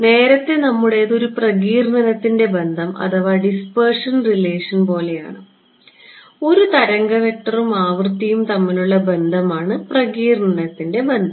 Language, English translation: Malayalam, Earlier, what was our is this is like a dispersion relation, a relation between wave vector and frequency is dispersion relation